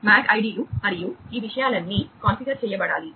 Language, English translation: Telugu, The MAC ids and all these things will have to be configured